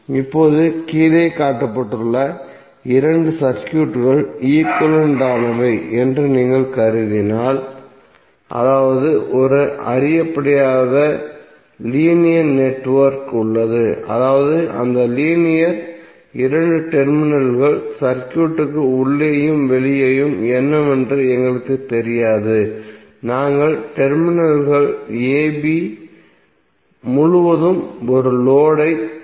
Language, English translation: Tamil, Now if you assume that there are two circuits which are shown below are equivalent that means there is an unknown linear network where we do not know what is inside and outside that linear two terminals circuit we have connected a load across terminals a b